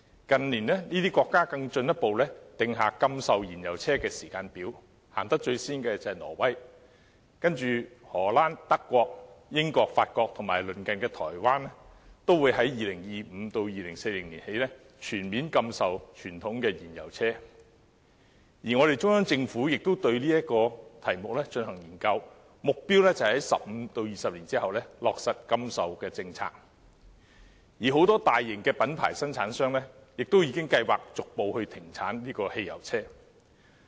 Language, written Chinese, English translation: Cantonese, 近年，這些國家更進一步訂下禁售燃油車的時間表，最早推行的是挪威，而荷蘭、德國、英國、法國和我們鄰近的台灣也會在2025年至2040年起全面禁售傳統的燃油車；中央政府也對此議題進行研究，目標是在15年至20年後落實禁售的政策；而很多大型的品牌生產商亦已計劃逐步停產燃油車。, Norway is the first country to carry out the policy while the Netherlands Germany the United Kingdom France and Taiwan our neighbouring country will also carry out a total prohibition of sale of fuel - engined vehicles from 2025 to 2040 . The Central Government has also conducted a study on this topic and its target is to implement the prohibition of sale policy 15 to 20 years later . Many large - scale branded manufacturers have also planned to gradually cease the production of fuel - engined vehicles